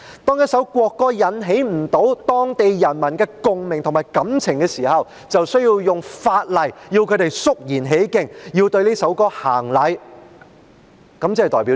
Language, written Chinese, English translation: Cantonese, 當一首國歌不能引起當地人民的共鳴和感情，便以法例要求他們肅然起敬，對這首歌曲行禮，這代表甚麼？, When a national anthem cannot arouse resonance and emotion from the people laws are enacted to make the people show respect for and salute to the anthem . What does it mean?